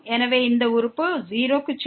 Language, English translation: Tamil, So, goes to 0